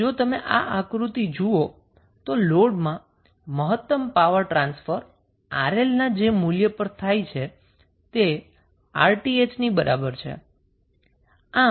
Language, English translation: Gujarati, If you see this figure, the maximum power transfer to the load happens at the value of Rl which is equal to Rth